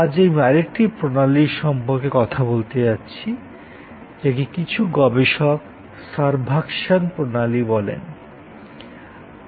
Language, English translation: Bengali, Today, I am going to talk about another systems aspect and this system, some researchers have called servuction system